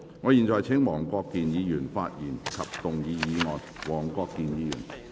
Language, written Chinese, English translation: Cantonese, 我現在請黃國健議員發言及動議議案。, I now call upon Mr WONG Kwok - kin to speak and move the motion